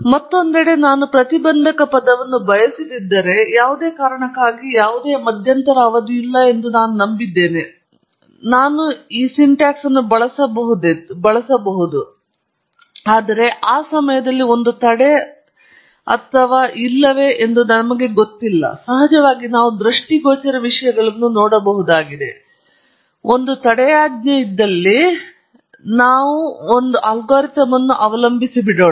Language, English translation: Kannada, On the other hand, if I do not want to the intercept term for some reason I believe there is no intercept term then I could use this syntax, but at the moment we do not know if there is an intercept or not; of course, we can look at things visually, but let us rely on the algorithm first to tell us if there is an intercept